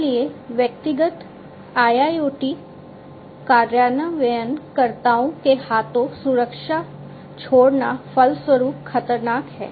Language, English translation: Hindi, So, living security at the hands of the individual IIoT implementers is consequently dangerous